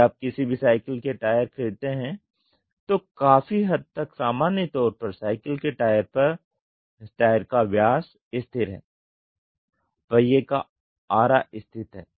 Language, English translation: Hindi, If you buy any cycle tire to a large extent the general one the cycle tire diameter is constant the spokes are constant